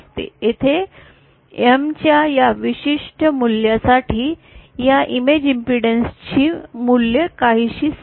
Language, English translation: Marathi, So here, for this particular value of M the value of this image impedance remains somewhat constant